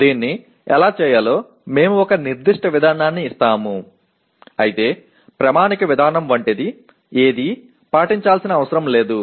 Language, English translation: Telugu, How to do that we will give a particular procedure though there is nothing like a standard procedure that is required to be followed